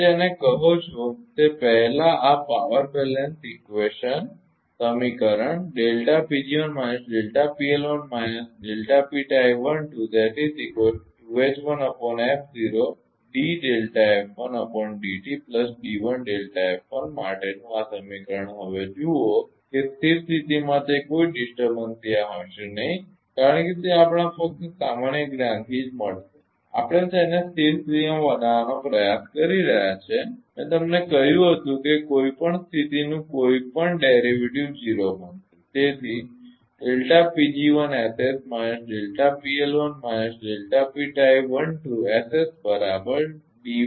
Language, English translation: Gujarati, What you call that ah earlier earlier ah this this equation for power balance equation now look at that that at steady state it will be delta P g 1 s s do not disturbance will be there as it is it will be delta P tie 12 s s right from our general ah knowledge only we are trying to make it as steady state I told you that any derivative of any state will become 0